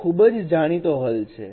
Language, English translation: Gujarati, It is a well known solution